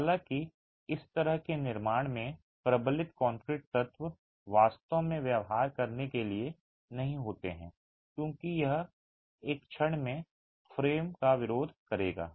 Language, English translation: Hindi, However, the reinforced concrete elements in this sort of a construction are really not meant to behave as it would in a moment resisting frame